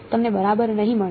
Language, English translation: Gujarati, You will not get right